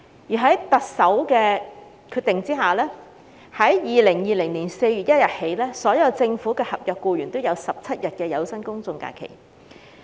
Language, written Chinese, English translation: Cantonese, 其後，特首決定自2020年4月1日起，所有政府合約僱員也享有17天有薪公眾假期。, Subsequently the Chief Executive decided that starting from 1 April 2020 all government contract staff would also be entitled to 17 days of paid GHs